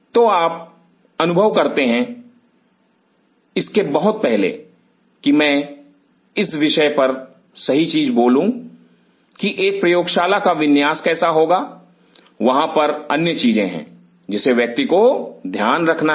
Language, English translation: Hindi, So, you realize even much before I hit upon the topic of the how the layout of a lab will be, there are other things which one has to take into account